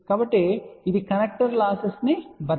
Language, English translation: Telugu, So, that will compensate connecter losses say 0